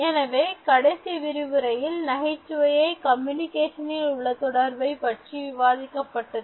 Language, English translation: Tamil, In the previous lesson, I emphasized on the importance of humour in communication